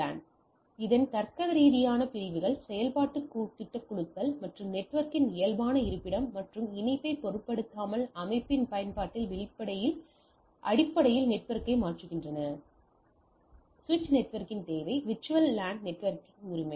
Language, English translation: Tamil, VLAN’s logically segments switch network based on the function project teams or application of the organisation regardless of the physical location and connection to the network, so that is the requirement of the switch network a VLAN network right